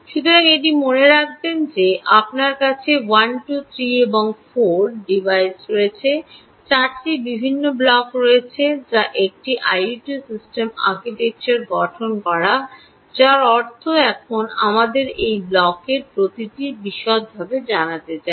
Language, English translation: Bengali, so keep this in mind: that you have one, two, three and these four devises, four different blocks which form the architecture of this, of an i o t system, which means now we have to get into details of each one of these blocks